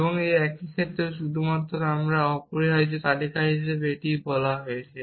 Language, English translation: Bengali, The same in one case we have just called it as list here essentially